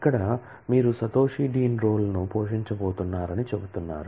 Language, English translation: Telugu, Here you are saying that Satoshi is going to play the dean role